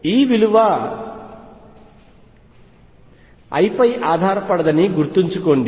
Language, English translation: Telugu, Keep in mind that E does not depend on l